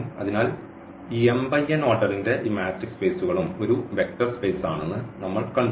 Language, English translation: Malayalam, So, here what we have seen that this matrix spaces of order this m cross n is also a vector space